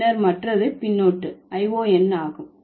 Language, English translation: Tamil, And then the other suffix is Eon